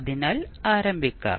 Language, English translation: Malayalam, So, let us start